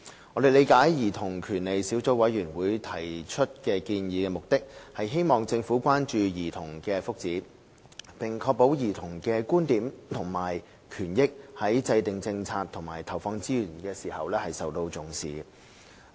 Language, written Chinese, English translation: Cantonese, 我們理解兒童權利小組委員會提出建議的目的，是希望政府關注兒童的福祉，並確保兒童的觀點及權益在制訂政策和投放資源時受到重視。, We understand that the Subcommittee on Childrens Rights has made these recommendations in the hope that the Government will take an interest in childrens well - being and ensure that their viewpoints rights and interests will figure prominently in policy formulation and resource allocation